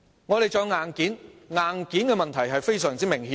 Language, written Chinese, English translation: Cantonese, 我們亦需要硬件，硬件的問題是非常明顯的。, We also need hardware . The problem of hardware is quite obvious